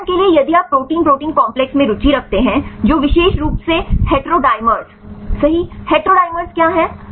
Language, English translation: Hindi, For example if you are interested in protein protein complexes, which specifically on the heterodimers right; what is heterodimers